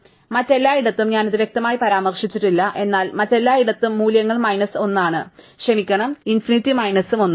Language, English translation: Malayalam, So, everywhere else I have not mentioned it explicitly, but everywhere else the values are minus 1 and sorry, infinity and minus 1